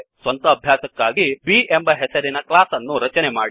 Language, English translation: Kannada, For self assessment, create a class named B